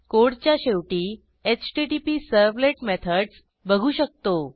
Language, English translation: Marathi, At the bottom of the code, we can see HttpServlet methods